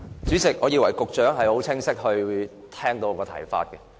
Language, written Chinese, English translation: Cantonese, 主席，我以為局長已很清楚聽到我的補充質詢。, President I thought the Secretary has clearly heard my supplementary question